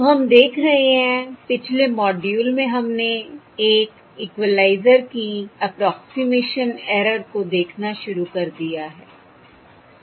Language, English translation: Hindi, So we are looking at: in the previous module we have started looking at the approximation error of an equalizer, correct